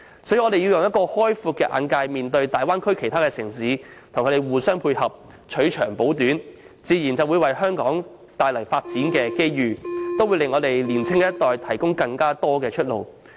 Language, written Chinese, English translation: Cantonese, 所以，我們應以開闊眼界面對大灣區及其他城市的發展，互相配合，取長補短，這自然會為香港帶來發展機遇，也會為年青一代提供更多出路。, Therefore we should treat the development of the Bay Area and other cities with open - mindedness and strive to foster complementarity and mutual benefits which will provide development opportunities for Hong Kong and multiple pathways for the younger generation